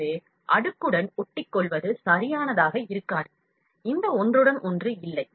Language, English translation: Tamil, So, sticking to the layer would not be proper, if this overlap is not there